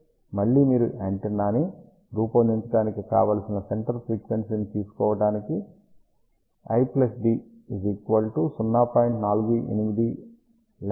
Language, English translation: Telugu, So, again to design the antenna you take the centre frequency use that concept of l plus d equal to 0